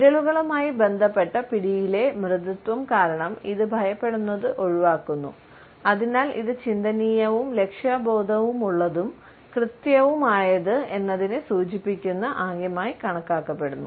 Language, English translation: Malayalam, It avoids the intimidation, because of the softness associated with the fingers and therefore, it is perceived as a gesture, which is thoughtful, goal oriented, precise and accurate